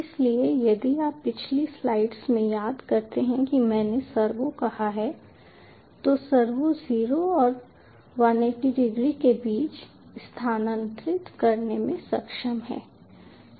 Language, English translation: Hindi, so, ah, if you recall, in the previous slides i have said the servo, the servo, is able to move between zero and one eighty degree